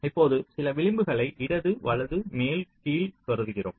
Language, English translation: Tamil, now we consider some edges: left, right, top, bottom